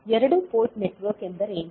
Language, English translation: Kannada, So, what is two port network